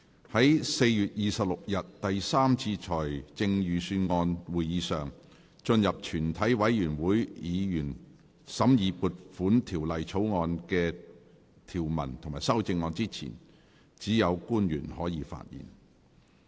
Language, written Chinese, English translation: Cantonese, 在4月26日第三次財政預算案會議上，進入全體委員會審議撥款條例草案的條文及修正案之前，只有官員可以發言。, At the 3 Budget meeting to be held on 26 April only public officers may speak before consideration of the provisions of and amendments to the Appropriation Bill at its Committee stage